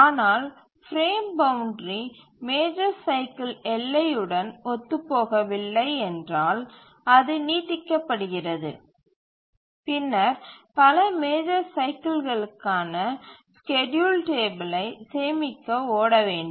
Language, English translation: Tamil, But if the frame boundary does not coincide with the major cycle boundary it spills over then we have to run for, we have to store the schedule table for many major cycles